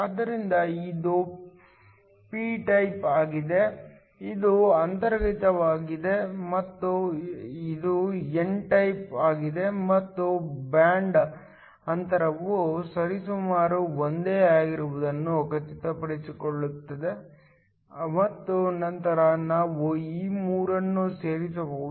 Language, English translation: Kannada, So, this is p type, this is intrinsic, and this is n type and are making sure that the band gaps are approximately the same, and then we can join all three